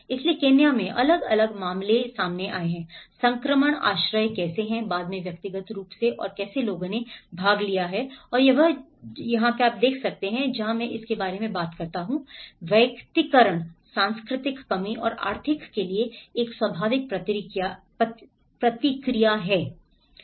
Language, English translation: Hindi, So, there are different cases we have come across like in Kenya, how the transition shelter has been personalized later on and how people have participated and this is where I talk about the personalization is a natural response to cultural deficiency and also to the economic opportunities